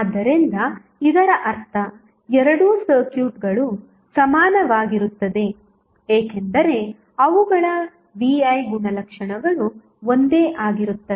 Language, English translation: Kannada, So, that means that both of the circuits are equivalent because their V I characteristics are same